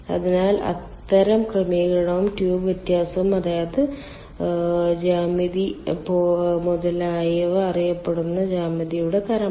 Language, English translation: Malayalam, so those kind of arrangement and tube diameter, that means geometry, etcetera, are um, the type of geometry that is known